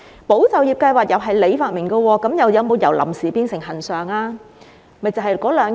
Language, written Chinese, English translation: Cantonese, "保就業"計劃也是局長發明的，但有否由"臨時"變成"恆常"呢？, The Employment Support Scheme was likewise invented by the Secretary but has it been changed from temporary to permanent?